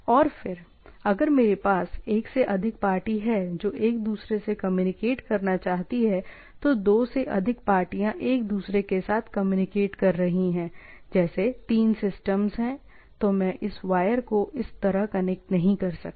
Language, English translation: Hindi, And then, if I have more than one, like only not two party, more than more than two parties are communicating with each other, like three systems are there, then I cannot connect this wire like this